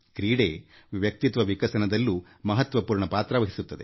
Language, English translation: Kannada, Sports play an important role in personality development also